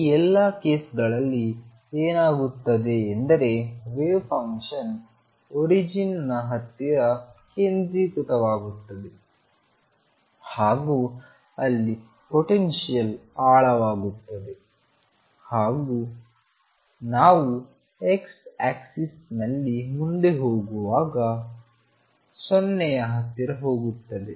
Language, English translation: Kannada, In all these case what is going to happen is that the wave function is going to be concentrated near the origin of where the potential is deepest and go to 0 as you reach distance very far along the x axis